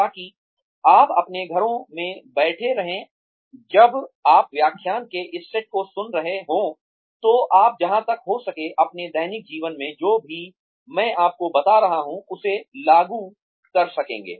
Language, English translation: Hindi, So that, you sitting in your homes, when you are listening to this set of lectures, you will be able to apply, whatever I am telling you, to your daily lives, as far as possible